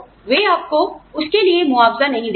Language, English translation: Hindi, So, they will not compensate you, for it